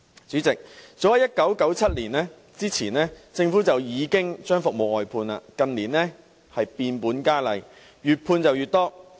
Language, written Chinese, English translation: Cantonese, 主席，早在1997年之前，政府已經將服務外判；近年變本加厲，外判越來越多。, President the Government has long since outsourced its services before 1997 . In recent years the situation has worsened with more and more services outsourced